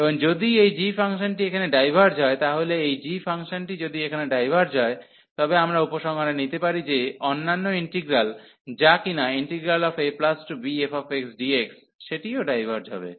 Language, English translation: Bengali, And if this g function diverges here, so if this g diverges we can conclude that the other integral, which is a to b f x dx that also diverges